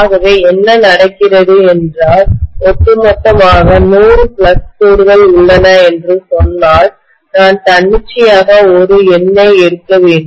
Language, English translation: Tamil, So what is happening is if I say that there are 100 flux lines overall, I am just arbitrarily taking a number